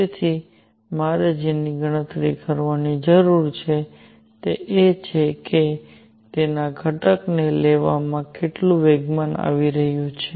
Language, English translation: Gujarati, So, what I need to calculate is how much momentum is coming in take its component